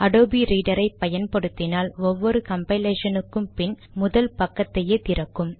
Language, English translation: Tamil, IF you use adobe reader, after every compilation, the file always opens in the first page